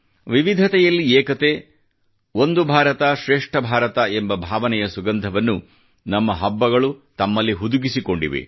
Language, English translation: Kannada, Our festivals are replete with fragrance of the essence of Unity in Diversity and the spirit of One India Great India